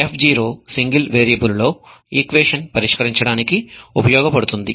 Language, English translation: Telugu, f0 was able to solve an equation in a single variable